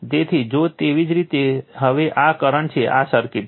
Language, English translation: Gujarati, So, if you now this is this is the flow, this is the circuit right